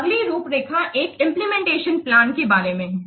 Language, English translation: Hindi, Next one is about the outline implementation plan